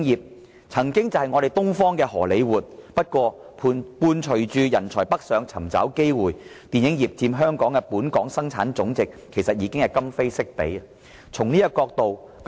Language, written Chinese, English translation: Cantonese, 香港曾經是東方的荷李活，不過隨着人才北上尋找機會，電影業佔香港的本地生產總值的份額其實已經今非昔比。, Hong Kong was once called the Hollywood of the East . But as people move northward in search of opportunities the film industrys share in our GDP is no longer as large as before